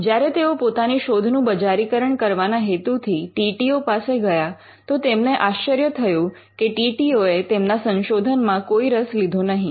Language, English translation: Gujarati, When he approach the TTO with a view to commercializing his discovery; he was surprised to learn that they were not interested